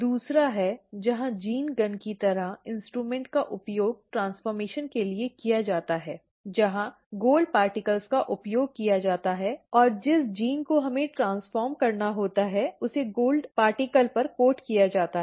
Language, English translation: Hindi, The second one is, where the gene gun like instrument is used for the transformation where the gold particles are used and the gene that we have to transform is coated on the gold particle